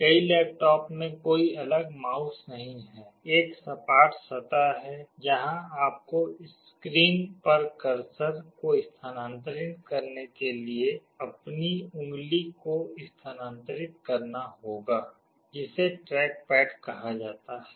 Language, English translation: Hindi, Many of the laptops have no separate mouse; there is a flat surface, where you have to move your finger to move the cursor on the screen; that is called a trackpad